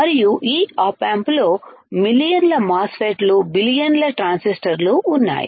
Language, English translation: Telugu, And this op amp has millions of MOSFETs billions of transistors all right